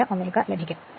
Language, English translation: Malayalam, 47 Ohm right